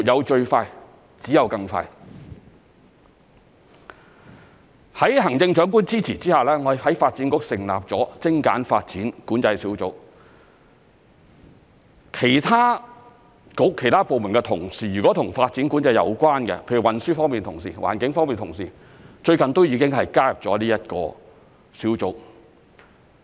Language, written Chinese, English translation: Cantonese, "在行政長官支持下，我們在發展局成立了精簡發展管制督導小組，其他政策局、其他部門的同事，如果和發展管制有關，例如運輸方面同事、環境方面同事，最近都已加入了這個小組。, I told him One will never go too fast and should strive to go faster . With the support of the Chief Executive we have set up a Steering Group on Streamlining Development Control under the Development Bureau . Colleagues from other bureaux and departments whose duties are related to development control such as those involved in transport and environmental issues have recently joined the Steering Group